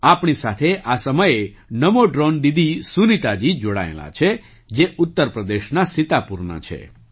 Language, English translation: Gujarati, Namo Drone Didi Sunita ji, who's from Sitapur, Uttar Pradesh, is at the moment connected with us